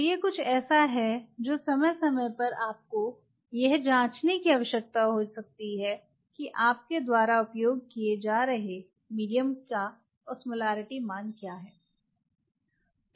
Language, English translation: Hindi, So, this is something which time to time you may need to check that what is the Osmolarity value of the medium what you are using